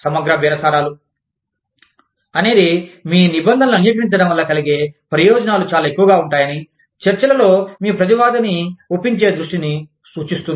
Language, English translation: Telugu, Integrative bargaining is, refers to the focus, it refers to, convincing your counterpart, in negotiations, that the benefits of agreeing with your terms, would be very high